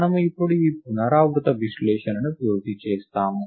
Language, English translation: Telugu, We now complete the analysis of this recurrence